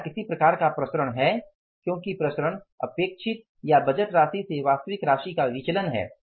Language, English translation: Hindi, Because variance is a deviation of an actual amount from the expected or the budgeted amount